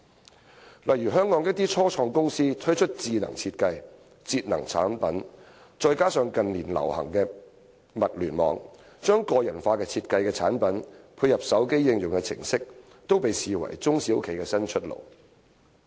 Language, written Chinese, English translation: Cantonese, 舉例說，香港一些初創公司推出智能設計、節能產品，再加上近年流行的"物聯網"，將個人化設計的產品配合手機應用程式，都被視為中小企的新出路。, For instance some start - up companies in Hong Kong have rolled out smart designs and energy efficient products . Also with the popularization of the Internet of Things in recent years personalized products supported by mobile phone applications have been introduced . All these are regarded as the new way forward for small and medium enterprises